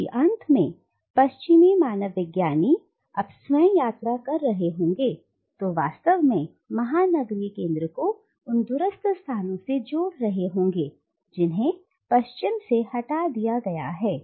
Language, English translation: Hindi, Because at the end of the day the Western anthropologist himself or herself is travelling and by travelling is actually connecting the metropolitan centre to that distant location which is removed from the West